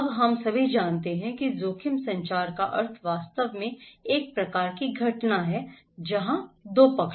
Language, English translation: Hindi, Now, we all know that the meaning of risk communication is actually a kind of event, where there are two parties